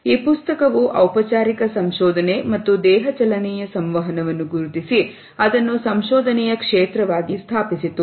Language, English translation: Kannada, This book had marked the formal research and body motion communication and established it as a field of formal research